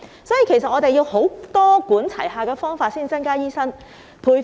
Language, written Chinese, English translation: Cantonese, 因此，我們要用多管齊下的方法增加醫生。, Hence we have to adopt a multi - pronged approach to increase the number of doctors